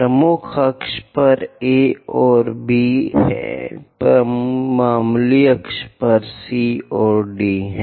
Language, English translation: Hindi, On major axis, the letter is A and B; on minor axis, the letters are C and D